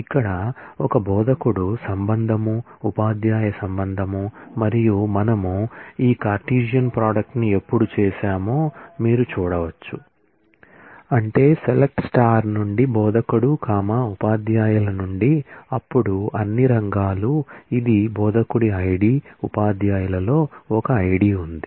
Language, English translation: Telugu, So, here is a instructor relation, the teacher’s relation and as you can see when we have done this cartesian product, that is select star from instructor comma teachers, then all fields this is an ID of the instructor, there is an ID in teachers